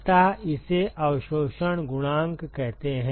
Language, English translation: Hindi, So, that is what is called the absorption coefficient